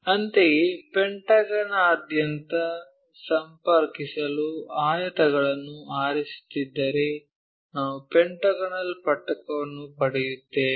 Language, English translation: Kannada, Similarly, if we are picking rectangles connect them across this pentagon we get pentagonal prism